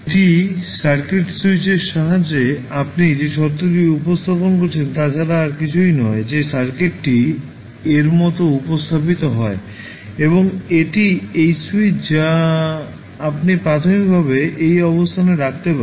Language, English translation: Bengali, That is nothing but the condition which you represent with the help of switch in the circuit that the circuit is represented like this and this is the switch which you can initially put at this position